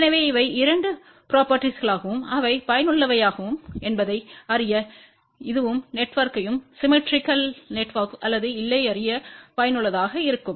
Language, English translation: Tamil, So, these are the two properties which are useful and even this one is useful to know whether the network is symmetrical or not